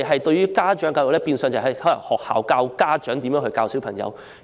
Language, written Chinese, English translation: Cantonese, 在現時制度下，學校教導家長應如何教導子女。, Under the current system schools will teach parents how to teach their children